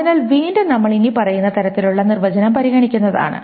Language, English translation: Malayalam, So again we will consider this following kind of definition